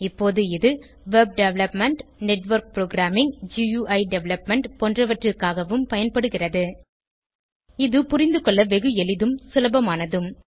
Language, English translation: Tamil, Now, it is used for web development, network programming, GUI development etc It is simple and very easy to understand